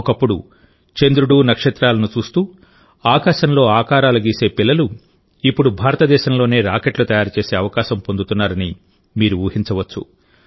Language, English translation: Telugu, You can imagine those children who once used to draw shapes in the sky, looking at the moon and stars, are now getting a chance to make rockets in India itself